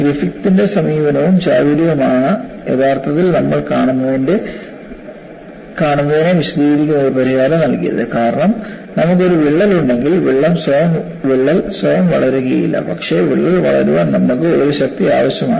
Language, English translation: Malayalam, And it was Griffith’s approach and ingenuity provided a solution which explains what we see in actual practice; because his observation was, if you have a crack, the crack will not grow by itself, but you need a, a force to drive the crack